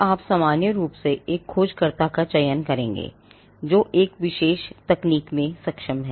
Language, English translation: Hindi, Now you would normally select a searcher who is competent in a particular technology